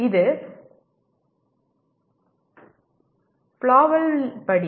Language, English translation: Tamil, This is as per Flavell